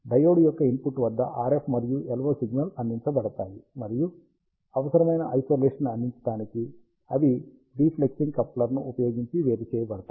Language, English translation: Telugu, The RF and LO signal are provided at the input of the diode, and they are separated using a diplexing coupler to provide the necessary isolation